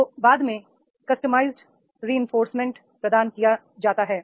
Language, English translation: Hindi, Subsequently, customized reinforcement is provided